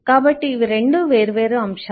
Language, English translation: Telugu, so these are 2 different aspects